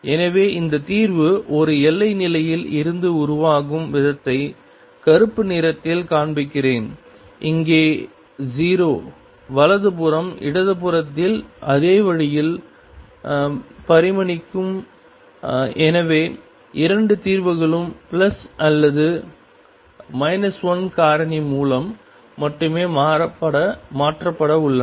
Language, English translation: Tamil, So, let me show this in black the way this solution would evolve from a boundary condition, here 0 to the right hand side would evolve exactly in the same way on the left hand side and therefore, the 2 solutions are going to be changed by only by a factor of plus or minus 1